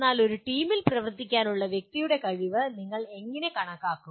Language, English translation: Malayalam, And but how do we measure the individual’s ability to work in a team